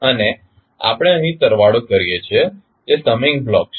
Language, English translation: Gujarati, And we are summing up here that is summing block